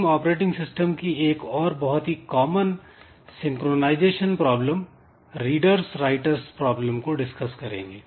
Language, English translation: Hindi, Next we look into another very common synchronization problem that is there in operating system known as reader's writers problem